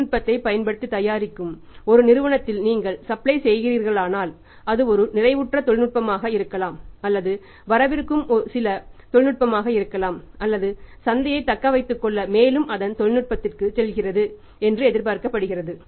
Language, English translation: Tamil, Look for that if you are supplying to a company who is manufacturing the finished product by using the technology which is maybe it is a saturated technology or to say some upcoming technology or it is still going to its technology is still expected to have the market or the other life